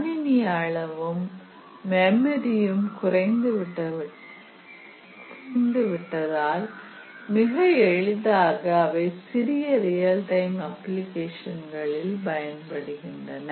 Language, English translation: Tamil, The size of computers and memory have really reduced and that has enabled them to be used in very very small real time applications